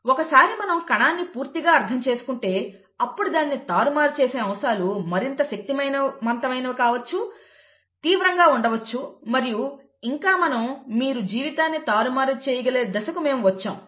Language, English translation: Telugu, Once we understand the cell completely then possibly the manipulations aspects can get more rigourous and we have come to a stage where you could manipulate life